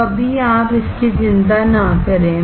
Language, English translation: Hindi, So, right now you do not worry about it